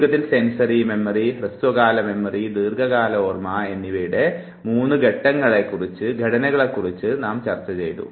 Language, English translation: Malayalam, Just to summarize, we talked about the three structures of memory; the sensory, short term, and long term memory